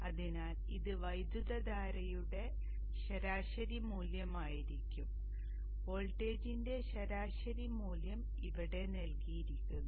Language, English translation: Malayalam, So this would be the average value of the current, the average value of the voltage is given here